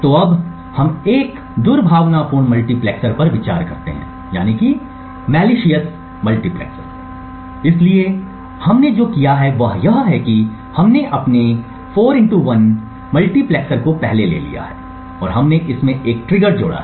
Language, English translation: Hindi, So now let us consider a malicious multiplexer, so what we have done is that we have taken our 4 to 1 multiplexer before and we added a trigger circuit to it